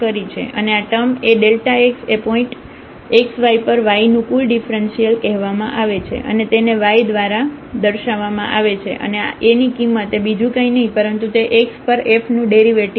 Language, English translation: Gujarati, And this term A delta x is called the total differential of y at this point x y and is denoted by delta y and the value of A is nothing but it is the derivative of f at x